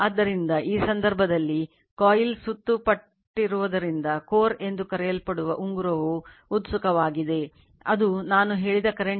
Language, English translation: Kannada, So, in this case, the ring termed as core is excited by a coil wound, it with N turns carrying the current I told you right